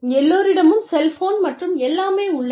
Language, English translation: Tamil, And, everybody has a cell phone, and everything